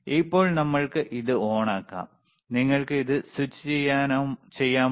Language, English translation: Malayalam, So now, we can we can switch it on, can you please switch it on